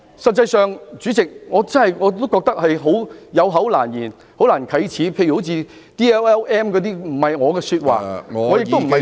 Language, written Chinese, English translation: Cantonese, 實際上，主席，我真的覺得有口難言，很難啟齒，例如 "DLLM" 等不是我的說話，我亦不想說這些話......, In fact President I really find it too embarrassing to utter say DLLM which is not my own word and I do not want to say such words either